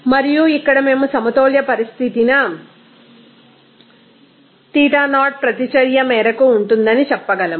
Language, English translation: Telugu, And here we can say that at equilibrium condition this extent of reaction is Xie